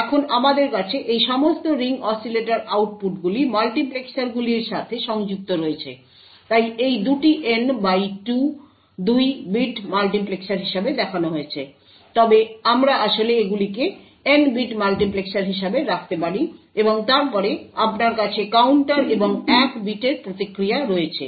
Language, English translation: Bengali, Now, we have all of these ring oscillator outputs connected to multiplexers, so this is shown as two N by 2 bit multiplexers but we can actually have them as N bit multiplexers, and then you have counters and response which is of 1 bit